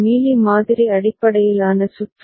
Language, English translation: Tamil, Mealy model based circuit